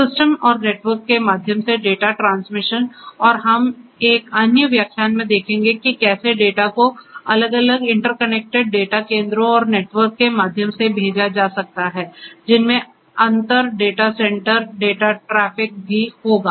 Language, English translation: Hindi, Data transmission through the network through the system and we will see in another lecture, how the data can be sent through the network through different interconnected data centres which will have inter data centre traffic data centre traffic data traffic and also intra data centre data centre data traffic